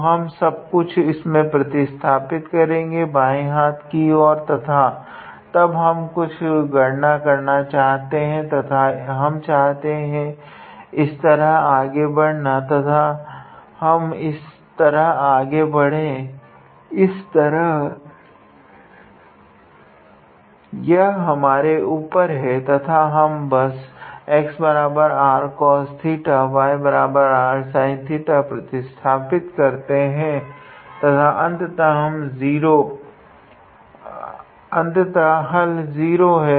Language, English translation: Hindi, So, we substitute the whole thing in this expression, on the left hand side and then we do some calculations and either we can proceed in this way or we can proceed in this way it is up to us and we just substitute x equals to r cos theta y equals to r sin theta and the ultimate answer is 0